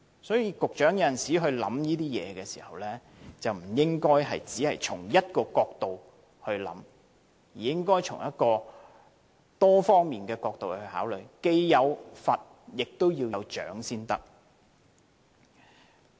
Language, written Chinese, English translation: Cantonese, 所以，局長，有時候考慮事情，不應只從一個角度出發，應從多方面考慮，既有罰，也要有獎才可。, Secretary one should not consider a problem from only one perspective; various aspects should be taken into consideration . Apart from punishments rewards should also be offered